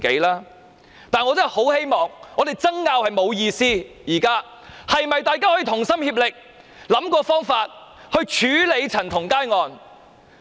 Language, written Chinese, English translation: Cantonese, 但是，我真的很希望大家知道，我們爭拗並無意思，現在大家可否同心協力想方法來處理陳同佳案？, However I really hope we will understand that it is meaningless to argue among ourselves . Can we now work together to deal with the CHAN Tong - kai case?